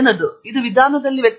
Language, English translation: Kannada, What is a difference between them